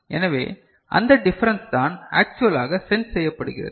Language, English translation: Tamil, So, that difference is actually getting sensed